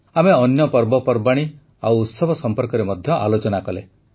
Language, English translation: Odia, We also discussed other festivals and festivities